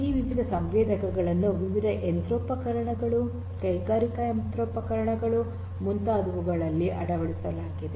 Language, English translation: Kannada, These sensors fitted to this different machinery, industrial machinery devices etcetera which are working in the field and so on